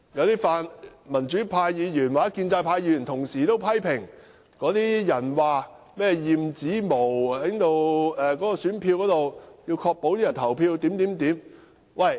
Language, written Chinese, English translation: Cantonese, 有泛民主派議員及建制派議員同時批評，有人提出選票要驗指模以確保選委投票的取態。, Some pan - democratic Members and pro - establishment Members have jointly criticized a suggestion to have ballot papers examined for fingerprints to ensure the voting choice of EC members